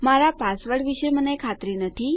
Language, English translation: Gujarati, I am not sure about my password